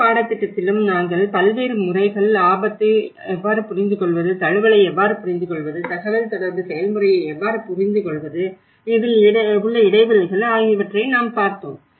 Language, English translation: Tamil, In the whole course, what we did is we also come across different methods you know, how to understand the risk, how to understand the adaptation, how to understand the communication process, the gaps